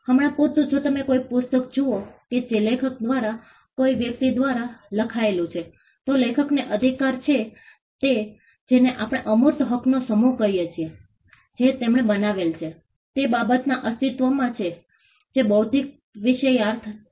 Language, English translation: Gujarati, For instance, if you look at a book that has been authored by a writer a person, then the right of the author is what we call a set of intangible rights which exist in the matter that he created which is the intellectual content